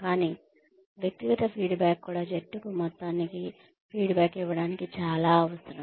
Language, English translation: Telugu, But, individual feedback is also, just as essential to give the team, a feedback, as a whole